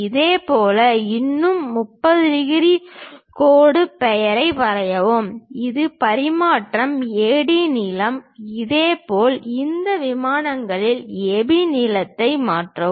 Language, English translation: Tamil, Similarly, draw one more 30 degrees line name it a transfer AD length; similarly transfer AB length on this planes